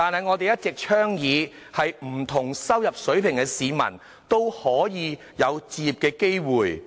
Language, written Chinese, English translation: Cantonese, 我們一直倡議不同收入水平市民，也擁有置業機會。, We have always advocated that people of different income levels should all have the opportunity to buy their own homes